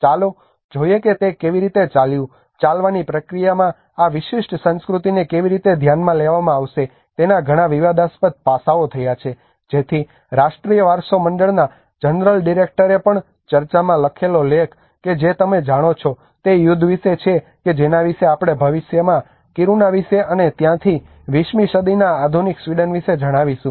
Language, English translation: Gujarati, Let us see how it went, and there have been a lot of the controversial aspects of how this particular culture has going to be taken into account in the move process so that is where even the general director of national heritage board also wrote in a debate article that you know the battle is about which history we will be able to tell about Kiruna in the future and thereby about the modern Sweden of 20th century right